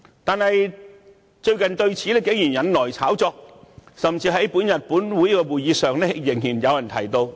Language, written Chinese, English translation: Cantonese, 但是，最近此事竟然引來炒作，甚至在今天本會的會議上仍被人提到。, But the issue has surprisingly been hyped in recent days and was even mentioned in todays meeting